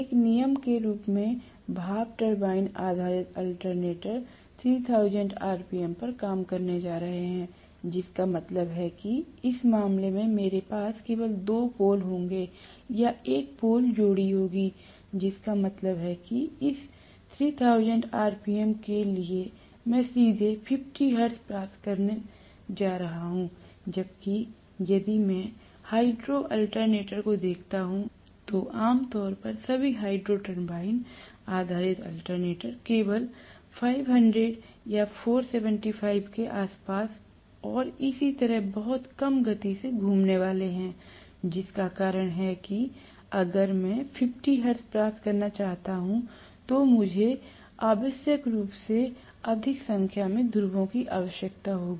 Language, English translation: Hindi, As a rule, the steam turbine based alternators are going to work at 3000 rpm, which means I will have only two poles in this case or one pole pair, only one pole pair I am going to have, which means for this 3000 rpm I will be able to get 50 hertz directly, whereas if I look at the hydro alternator, generally all the hydro turbine based alternators are going to rotate only around 500 or 475 and so on, very low speed, which means if I want to get 50 hertz I necessarily need to have more number of poles